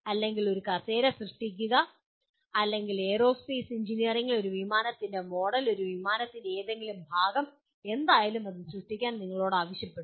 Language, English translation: Malayalam, Or you create the chair or in aerospace engineering you are asked to create a let us say a model of a plane, whatever part of a plane, whatever it is